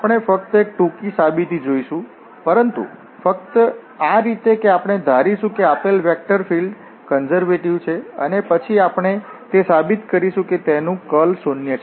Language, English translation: Gujarati, We will see just a short proof but only in this way that we will assume that the given vector field is conservative and then we will prove that it's curl is zero